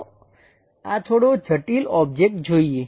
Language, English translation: Gujarati, Let us look at this slightly complicated object